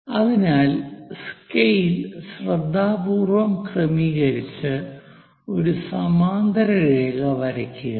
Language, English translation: Malayalam, So, adjust the scale carefully and draw a parallel line